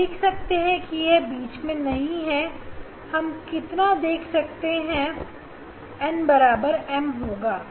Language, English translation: Hindi, you will see this in central how many we will see if n equal to m